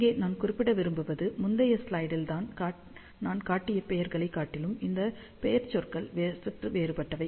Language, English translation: Tamil, So, here I just want to mention these nomenclatures are slightly different than the nomenclatures had shown in the previous slide